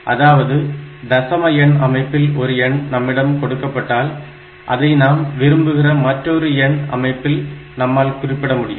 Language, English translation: Tamil, What I mean is, in any value that is given to me, in decimal number system I can represent it in some any other desirable number system